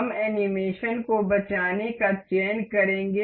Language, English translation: Hindi, We will select save animation